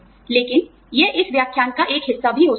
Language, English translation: Hindi, But, this can also be, a part of this lecture